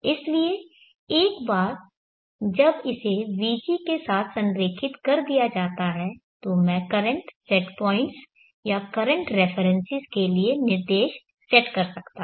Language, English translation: Hindi, So once it is aligned along vg then I can set commands to the current set points or the current references